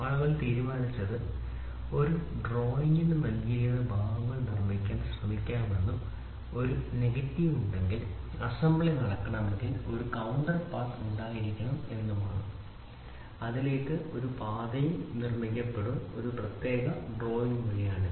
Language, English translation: Malayalam, So, then people decided is let us try to produce parts given to a drawing and if there is a negative of at all, if there is an assembly which has to happen then there has to be a counter path that path will also be produced to a particular drawing